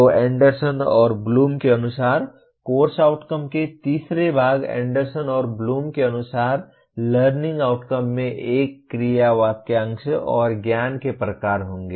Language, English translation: Hindi, So the third part of the course outcome as per Anderson and Bloom, learning outcome as per Anderson and Bloom will have a verb phrase and the type of knowledge